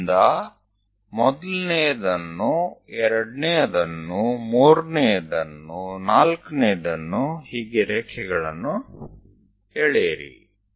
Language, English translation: Kannada, So, from there, draw a lines, first one, second one, third one, fourth one